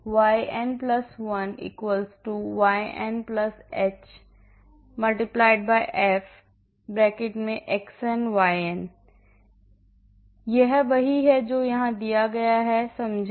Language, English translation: Hindi, So, yn+1 = yn+h * f (xn, yn), this is what is here given here, understand